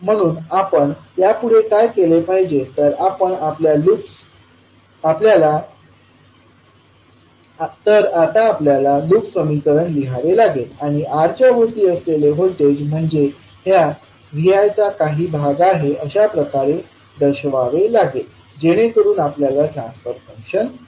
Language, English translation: Marathi, So what we have to do next, now we have to write the loop equation and represent the voltage across R as part of Vi, so that we get the transfer function